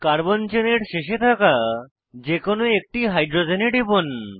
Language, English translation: Bengali, Click on one of the hydrogens, that is close to the end of the carbon chain